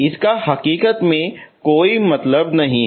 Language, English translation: Hindi, It does not make any sense in reality